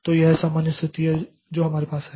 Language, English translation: Hindi, So, that is the normal situation that we have